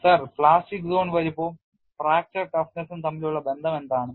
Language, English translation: Malayalam, Sir what is the relation between plastic zone size and the fracture toughness